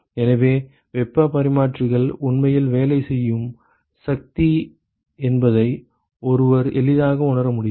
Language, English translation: Tamil, So, one can easily realize that heat exchangers are really the workhorse